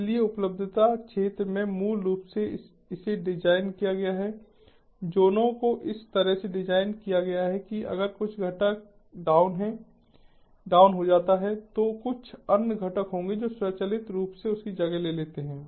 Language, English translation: Hindi, so in the availability zone, basically it is designed, the zones are designed in such a way that if there is some component that goes down, there will be some other component that is going to automatically take over